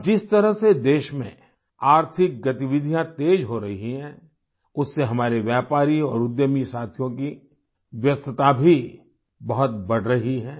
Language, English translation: Hindi, The way economic activities are intensifying in the country, the activities of our business and entrepreneur friends are also increasing